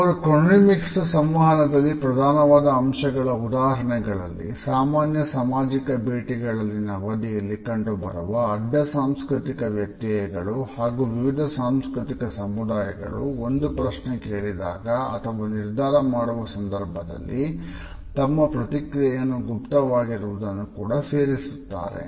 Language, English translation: Kannada, As examples for chronemically significant aspects in communication, he included the cross cultural differences in the duration of ordinary social visits, response latency among different cultural groups when a question is asked or for example, a decision is to be made